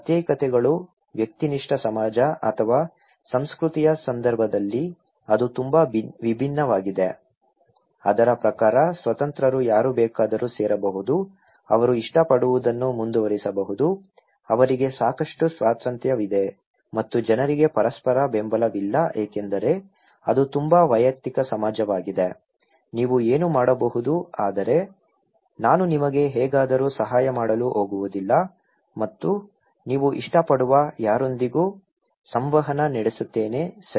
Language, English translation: Kannada, In case of individualities, individualistic society or culture, it’s very different according to it’s like free whoever can join whatever choice they have, they can pursue whatever like, they have enough freedom and people have no mutual support because it’s very individualistic society, you are what you can do but I am not going to help you anyway and interact with anyone you like, okay